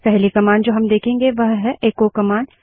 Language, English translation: Hindi, The first command that we will see is the echo command